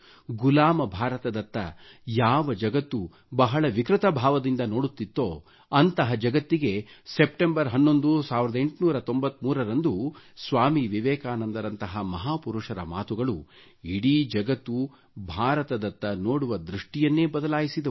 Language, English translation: Kannada, The enslaved India which was gazed at by the world in a much distorted manner was forced to change its way of looking at India due to the words of a great man like Swami Vivekananda on September 11, 1893